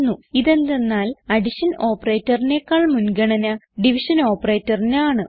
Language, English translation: Malayalam, This is because the division operator has more precedence than the addition operator